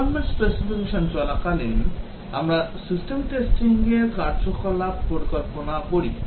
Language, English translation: Bengali, During requirement specification, we plan the system testing activities